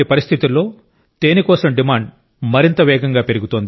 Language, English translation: Telugu, In such a situation, the demand for honey is increasing even more rapidly